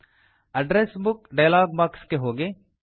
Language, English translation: Kannada, Go to the Address Book dialog box